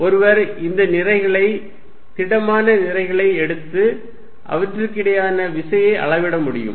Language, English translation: Tamil, What one could do is that, one could take these masses, solid masses and measure the force between them